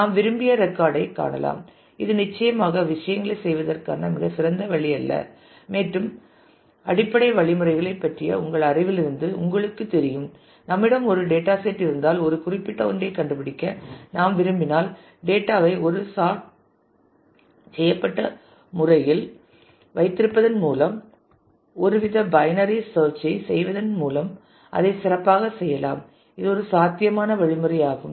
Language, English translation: Tamil, We can find the desired record which is certainly not a very efficient way of doing things and you know from your knowledge of basic algorithms that; if we have a set of data and we want to find a particular one then we can make it efficient by actually keeping the data in a sorted manner and doing some kind of a binary search that is one one possible mechanism through which you can do that